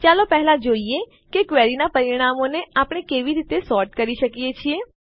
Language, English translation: Gujarati, First let us see how we can sort the results of a query